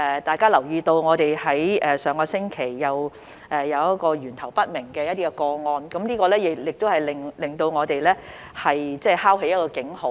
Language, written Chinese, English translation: Cantonese, 大家也留意到，本港上星期又有一宗源頭不明個案，這敲起了一個警號。, As Members may be aware there was another case with unknown source of infection last week that sounded an alarm